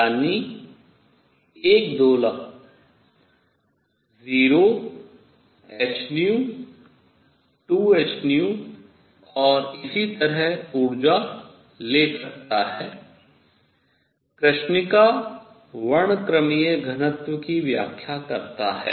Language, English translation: Hindi, That is an oscillator can take energies 0 h nu 2 h nu and so on explains the black body spectral density